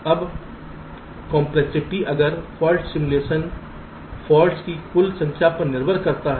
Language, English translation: Hindi, now the complexity if fault simulation depends on the total number of faults